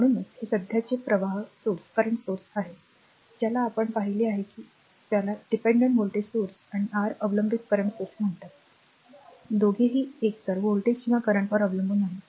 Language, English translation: Marathi, So, this is actually this currents source we are now now we are you have seen that your what you call a dependent voltage source and your dependent current source, both are dependent on either voltage or current right now